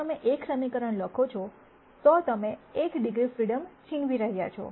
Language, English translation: Gujarati, If you write one equation you are taking away one degree of freedom